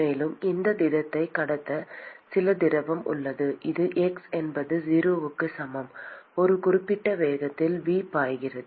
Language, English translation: Tamil, And there is some fluid which is flowing past this solid this is x is equal to 0 will be flowing at a certain velocity V